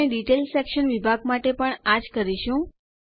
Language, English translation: Gujarati, We will do the same with the Detail section as well